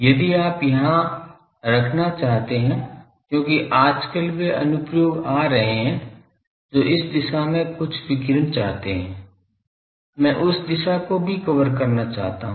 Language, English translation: Hindi, If you want to put here , because nowadays those applications are coming that some radiation I want in this direction; also I want to cover that direction